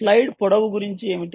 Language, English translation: Telugu, what about stride length